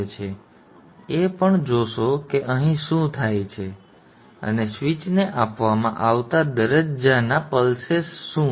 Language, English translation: Gujarati, You could also see what happens here and what is the gate pulses which are given to the switch